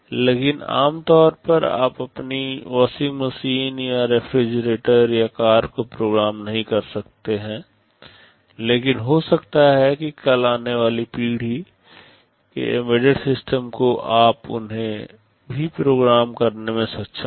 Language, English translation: Hindi, So, normally you cannot program your washing machine or refrigerator or a car, but maybe tomorrow with the next generation embedded systems coming, you may be able to program them also